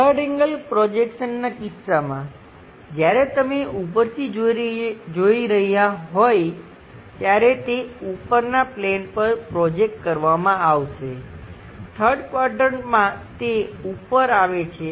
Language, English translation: Gujarati, In case of 3rd angle projection, when you are looking from top, it will be projected onto that top plane in the 3rd quadrant it comes at top level